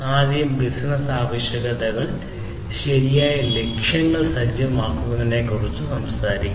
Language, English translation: Malayalam, First is the business requirements, which talks about setting the right objectives